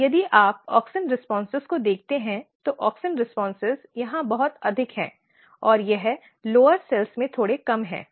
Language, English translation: Hindi, And if you look the auxin responses, auxin responses is very high here and it is slightly reduced in the lower cells ok